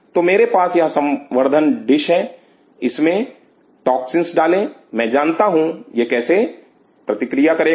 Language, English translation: Hindi, So, I have this culture dish put that toxins I know how it reacts